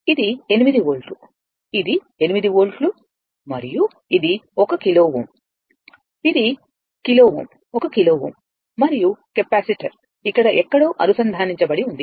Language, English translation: Telugu, This is 8 volt, right and this is your this is 8 volt and this is your 1 kilo ohm, this is kilo ohm 1 kilo ohm and capacitor is connected somewhere here